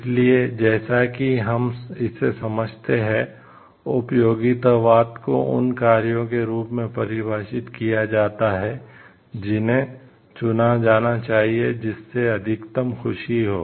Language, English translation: Hindi, So, as we understand utilitarianism has been defined as those actions, which should be chosen that lead to maximum amount of happiness